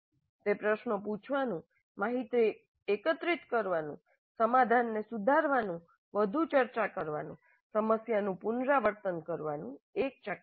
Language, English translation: Gujarati, So it is a cycle of asking questions, information gathering, refining the solution, further discussion, revisiting the problem and so on